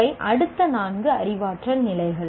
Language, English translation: Tamil, These are the next four cognitive levels